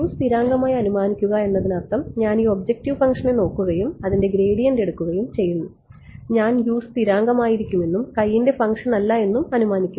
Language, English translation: Malayalam, Assuming U constant means that even I look at this objective function and I take its gradient I assume U to be constant and not a function of x